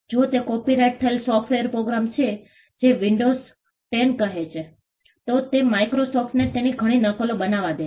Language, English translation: Gujarati, If it is a copyrighted software program say Windows 10, it allows Microsoft to make multiple copies of it